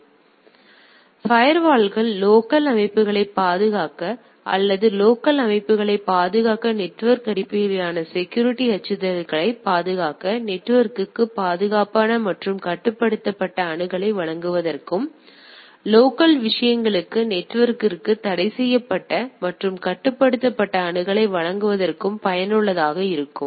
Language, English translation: Tamil, Now, firewall are effective to protect local systems or meant to protect local systems, protects network based security threats, provide secured and controlled access to internet provide restricted and controlled access to the internet to the local thing right